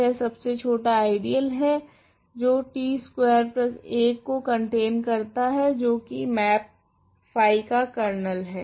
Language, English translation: Hindi, This is the smallest ideal corresponds to that contains t squared plus 1 which is the kernel of the map phi